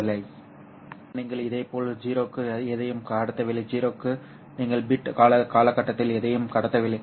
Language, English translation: Tamil, Similarly for 0 you transmit nothing over the bit period